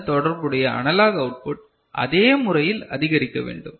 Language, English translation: Tamil, So, the corresponding analog input should increase in this manner ok